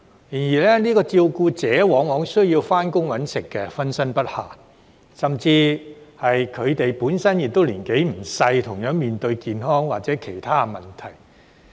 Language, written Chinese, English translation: Cantonese, 然而，這些照顧者往往需要上班謀生，分身不暇，甚至是他們本身亦年紀不輕，同樣面對健康或其他問題。, However these carers often need to go to work to earn a living and are thus fully occupied . Worse still they are not young and are also suffering from health or other problems